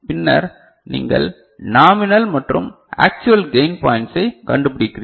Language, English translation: Tamil, And then you are finding out nominal and actual gain point